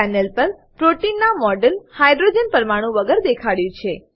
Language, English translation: Gujarati, The model of protein on the panel is shown without hydrogens atoms